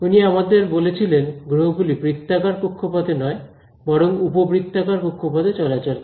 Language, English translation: Bengali, So, he was the guy who told us that planets move not in circular orbit, but elliptical orbits